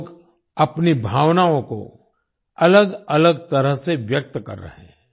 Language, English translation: Hindi, People are expressing their feelings in a multitude of ways